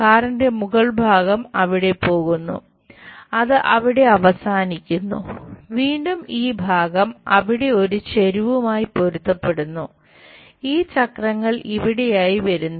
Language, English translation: Malayalam, The top portion of the car goes there, it ends there, again this portion matches there an incline and this wheels turns out to be here